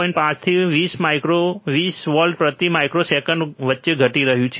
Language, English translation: Gujarati, 5 and 20 micro, 20 volts per microsecond